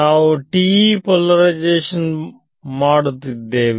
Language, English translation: Kannada, So, far we spoke about TE polarization